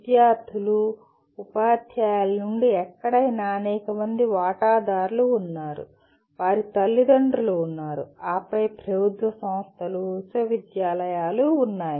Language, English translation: Telugu, There are several stake holders concerned with that, anywhere from students, teachers, and then you have parents, then you have government agencies, universities and so on